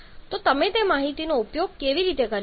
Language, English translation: Gujarati, So, how can you make use of that information